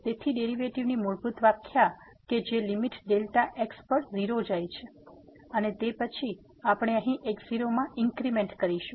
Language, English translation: Gujarati, So, the fundamental definition of the derivative that limit delta goes to 0 and then, we will make an increment here in